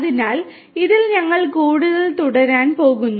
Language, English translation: Malayalam, So, in this, we are going to continue further